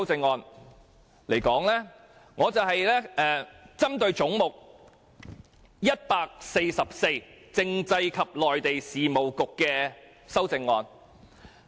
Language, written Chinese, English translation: Cantonese, 我選擇就有關"總目 144― 政府總部：政制及內地事務局"的修正案發言。, After a careful selection I finally pick the amendment on Head 144―Government Secretariat Constitutional and Mainland Affairs Bureau